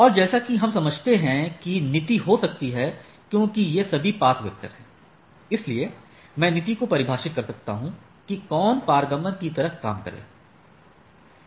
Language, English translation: Hindi, And as we understand there can be policy as these are all path vector, so I can have policy defined that which can be transit to the things and like that right